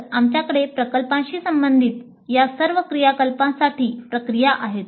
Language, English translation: Marathi, So we have processes for all these activities related to the projects